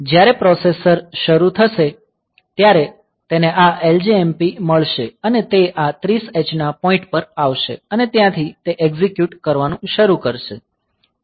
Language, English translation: Gujarati, So, when the processor will start it will find this LJMP and it will come to this 30 h is point and from that point it will start executing